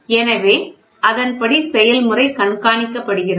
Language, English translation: Tamil, So, accordingly the process is monitored